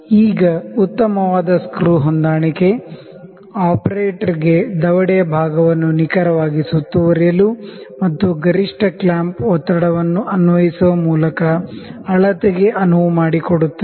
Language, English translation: Kannada, Now, the finer adjustment screw enables the operator to accurately enclose the portion of the jaw where measurement is required by applying optimum clamping pressure